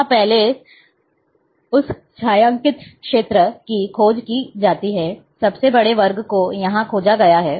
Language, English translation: Hindi, Here, first search of that shaded area is done, largest is squared block has been searched here